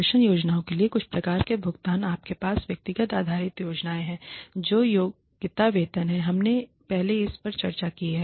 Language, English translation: Hindi, Some types of pay for performance plans you have individual based plans which is merit pay, we have discussed this earlier